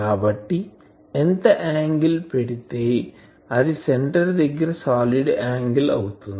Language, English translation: Telugu, So, how much angle it is solid angle it is putting at the centre